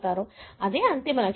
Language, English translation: Telugu, So that is the ultimate goal